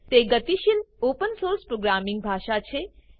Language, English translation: Gujarati, It is dynamic, open source programming language